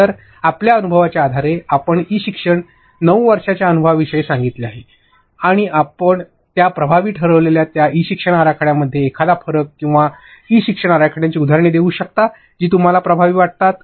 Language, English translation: Marathi, So, based on your experience, you have said of 9 years of experience in e learning, can you and give a difference or examples of e learning designs that you think are effective, in those e learning designs that you think are ineffective